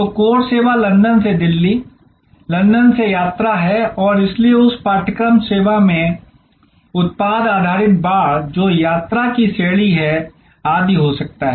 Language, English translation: Hindi, So, the core service is the travel from London, from Delhi to London and so in that course service there can be product based fencing, which is class of travel etc